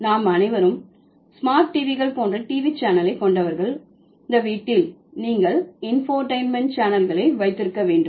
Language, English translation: Tamil, All of us, those who have the TV channel like the smart TVs at home, you must have the infotentment channels